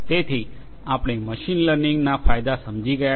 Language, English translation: Gujarati, So, we have understood the benefits of machine learning